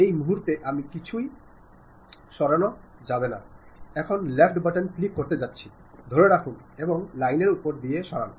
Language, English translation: Bengali, Right now I did not move anything, now I am going to click left button, hold that, and move over that line